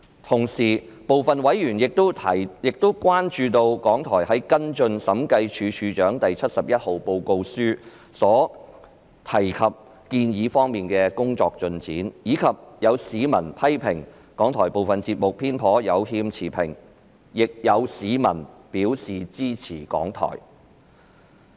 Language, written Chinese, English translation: Cantonese, 同時，部分委員亦關注到港台在跟進《審計署署長第七十一號報告書》所提建議的工作進展，以及有市民批評港台部分節目偏頗和有欠持平，但亦有市民表示支持港台。, Meanwhile some members had also expressed concerns about the progress of RTHK in following up the recommendations of the Director of Audits Report No . 71 on RTHK as well as the public feedback which criticized that some of RTHKs programmes appeared to be biased and partial . However there were also some members of the public who expressed their support for RTHK